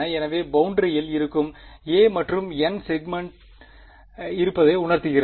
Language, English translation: Tamil, So, a n represents on this boundary there are n segments